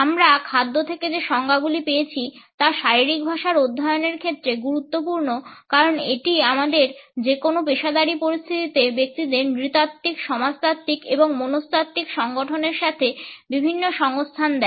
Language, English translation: Bengali, The connotations which we have from food are important in the studies of body language because it imparts us various associations with the anthropological, sociological and psychological makeup of individuals in any professional situations